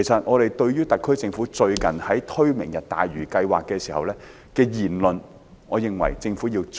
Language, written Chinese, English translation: Cantonese, 我認為特區政府最近在推出"明日大嶼"計劃時，言論應謹慎些。, When the SAR Government officials launched the Lantau Tomorrow project I think they should be more cautious in making remarks